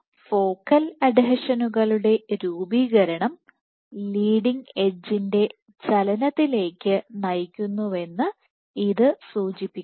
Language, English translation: Malayalam, So, this suggests that formation of focal adhesions drives leading edge movement